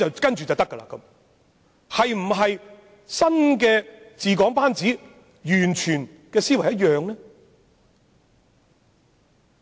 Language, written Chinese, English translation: Cantonese, 新治港班子的思維是否和之前完全一樣呢？, Is the way of thinking of this new group on the governance of Hong Kong the same as before?